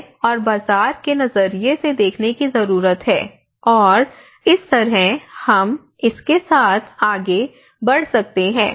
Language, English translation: Hindi, And one need to look from the community perspective, look from the market perspective, and this is how we can go ahead with it